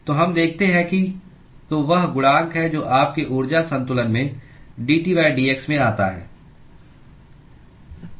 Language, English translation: Hindi, so that is the coefficient that comes out in your energy balance into dT by dx